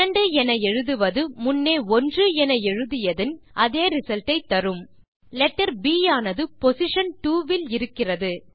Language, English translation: Tamil, Writing 2 will give us the same result as writing 1...letter B is in position 2